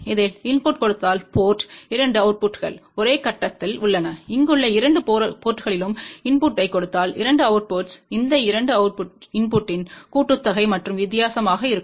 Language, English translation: Tamil, If we give input at this port, the 2 outputs are at the same phase and if we give input at both the ports here, then the 2 outputs will be sum and difference of these 2 input